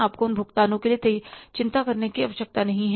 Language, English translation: Hindi, You need not to worry for those payments